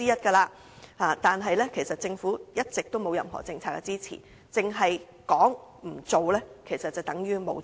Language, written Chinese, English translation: Cantonese, 政府其實一直沒有任何政策支持，只說不做，其實便等於沒有做。, The Government has actually failed to offer any policy support . Mere empty talk without concrete actions is no different from inaction